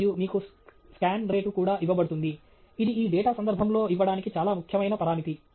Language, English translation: Telugu, And you are also given the scan rate, which is a very important parameter to give in the context of this data